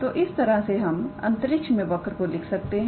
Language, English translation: Hindi, So, that is how we write this curve in space all right